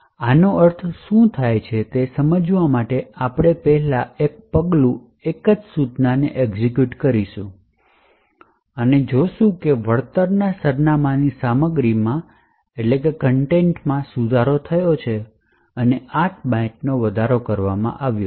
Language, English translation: Gujarati, Now to understand what this means we would first single step execute a single instruction and see that the contents of the return address has been modified and incremented by 8 bytes